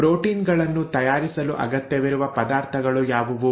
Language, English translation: Kannada, What are the ingredients which are required to make the proteins and 2